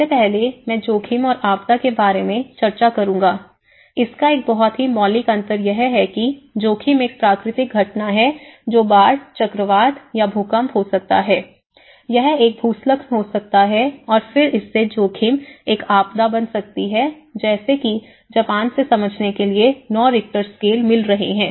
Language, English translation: Hindi, First, I started looking at hazard and disaster, its a very fundamental difference it is hazard is simply a natural phenomenon it could be a flood, it could be a cyclone or you know, it could be earthquake, it could be a landslide but then what makes hazard a disaster, so here, one has to understand in Japan you are getting 9 Richter scale